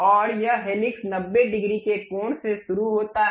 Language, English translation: Hindi, And this helix begins from 90 degrees angle